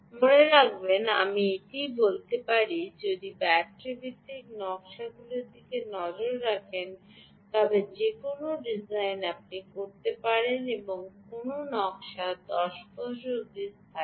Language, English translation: Bengali, remember i keep saying this that any design that you do, ah, if you are looking at battery based designs, any design should last for ten years